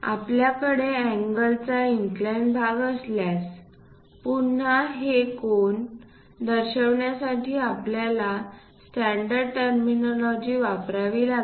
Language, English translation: Marathi, If we have angles inclined portions, again one has to use a standard terminology to denote this angles